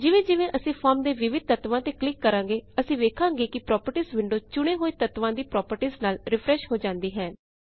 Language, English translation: Punjabi, So as we click on various elements on the form, we see that the Properties window refreshes to show the selected elements properties